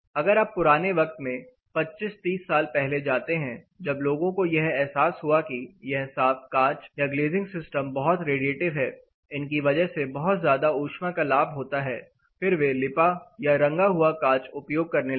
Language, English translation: Hindi, If you go back you know 25 30 years back in time, moment when people realize that this clear glass or clear glazing system are highly radiative they have a lot of radiant heat gain, they started using a coated glass or a tinted glass